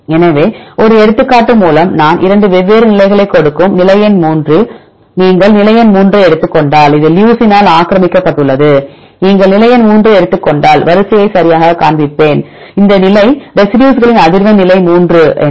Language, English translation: Tamil, So, this is the one example I give 2 different positions, position number 3 if you take position number 3 it is occupied by leucine, I will show the sequence right if you take the position number 3 this position what is the frequency of residues at position number 3